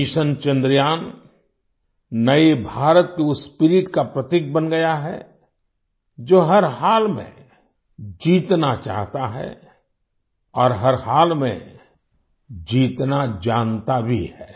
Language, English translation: Hindi, Mission Chandrayaan has become a symbol of the spirit of New India, which wants to ensure victory, and also knows how to win in any situation